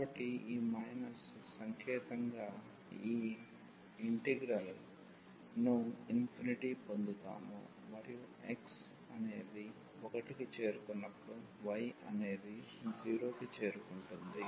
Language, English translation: Telugu, So, this we will get this integral as this minus sign and this will be approaching to infinity when x is approaching to 1 when x is approaching to 1 the y will approach to